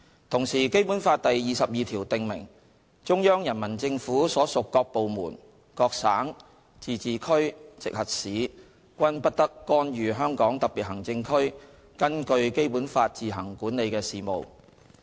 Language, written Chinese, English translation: Cantonese, 同時，《基本法》第二十二條訂明，中央人民政府所屬各部門、各省、自治區、直轄市均不得干預香港特別行政區根據《基本法》自行管理的事務。, Moreover Article 22 of the Basic Law stipulates that no department of the Central Peoples Government CPG and no province autonomous region or municipality directly under the Central Government may interfere in the affairs which the HKSAR administers on its own in accordance with the Basic Law